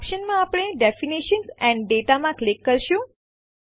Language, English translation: Gujarati, In the options, we will click on Definition and Data